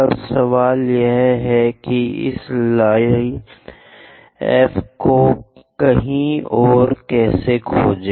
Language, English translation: Hindi, Now the question is, how to find this line F somewhere there